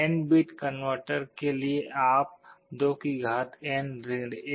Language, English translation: Hindi, For an N bit converter you can go up to 2N 1